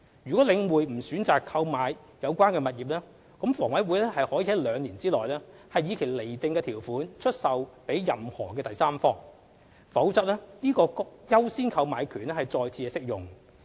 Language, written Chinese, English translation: Cantonese, 倘領匯不選擇購買有關物業，則房委會可於兩年內以其釐定的條款出售予任何第三方，否則該優先購買權將再次適用。, If The Link does not opt to purchase the properties HA can complete the sale by offering the properties to any third parties on such terms as it determines within two years otherwise the right of first refusal will apply again to such properties